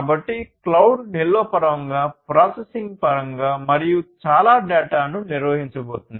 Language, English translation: Telugu, So, cloud is going to handle so much of data in terms of storage, in terms of processing and so on